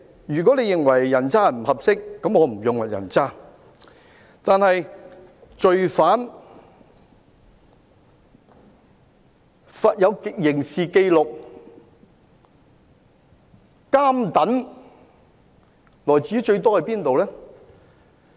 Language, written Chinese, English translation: Cantonese, 如果你認為"人渣"不合適，那麼我便不用"人渣"，但是，罪犯、有刑事紀錄的人、"監躉"最多來自哪裏？, If you think scum is inappropriate then I refrain from saying scum but where come most of the criminals criminal record holders and jailbirds from?